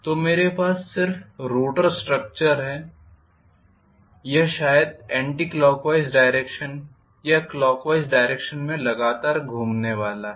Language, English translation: Hindi, So, I am just having the rotor structure it is going to rotate continuously maybe in anticlockwise direction or clockwise direction